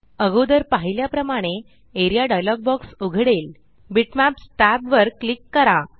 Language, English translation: Marathi, As seen earlier the Area dialog box opens, click on the Bitmaps tab